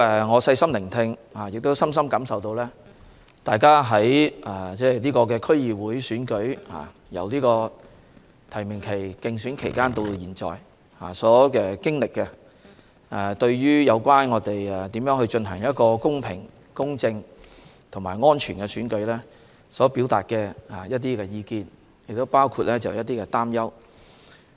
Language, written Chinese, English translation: Cantonese, 我細心聆聽議員的發言，也深深感受到他們對區議會選舉，由提名期、競選期直至現在所經歷的過程，以及對如何進行公平、公正和安全的選舉表達的意見及擔憂。, I have listened carefully to the speeches of Members and I deeply understand their opinions and concerns about the DC Election the course of development from the nomination period the election campaign to the present and how the Election can be held in a fair just and safe manner